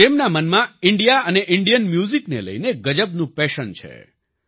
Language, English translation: Gujarati, He has a great passion for India and Indian music